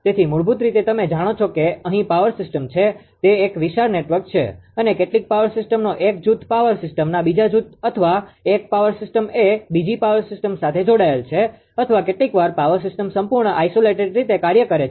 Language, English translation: Gujarati, So, basically you know that power system here, it is a huge network right and some power system one group of power system is interconnected to another group of power system or one power system which connect connected to another power system or sometimes power system operating totally isolated way